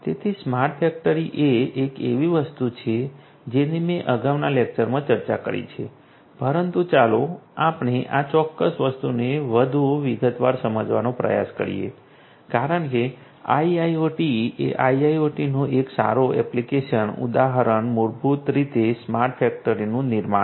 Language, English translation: Gujarati, So, smart factory is something that I have already discussed in a previous lecture, but let us try to you know go over this particular thing in much more detailed because IIoT a good application you know instance of IIoT is basically the building of smart factories